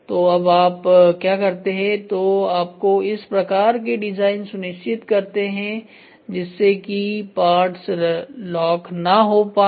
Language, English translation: Hindi, So, now what you do is you try to make sure in the design itself such that the parts do not get locked